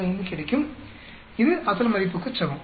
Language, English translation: Tamil, 45, this is same as the original value